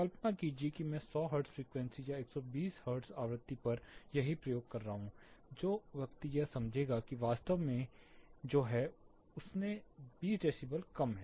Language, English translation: Hindi, Imagine I am doing the same exercise at 100 hertz frequency or 120 hertz frequency the person is going to perceive it to be 20 decibels lower than what it actually is